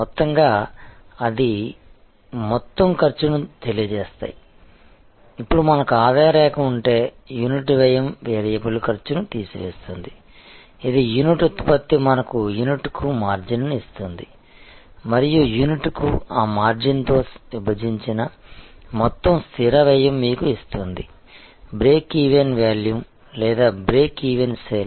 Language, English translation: Telugu, Together they cost the total cost, now if we have a revenue line and so the unit cost minus the variable cost, which is linked that unit production gives us the margin per unit and the total fixed cost divided by that margin per unit gives us the break even volume or the break even sales